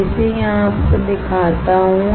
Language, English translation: Hindi, Let me show it to you here